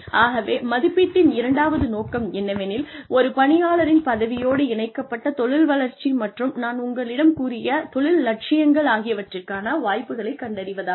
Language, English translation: Tamil, The second aim of appraisal, is to identify opportunities, for professional development, linked to the employee's role and career aspirations like I told you